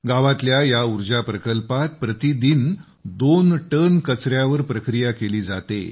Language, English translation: Marathi, The capacity of this village power plant is to dispose of two tonnes of waste per day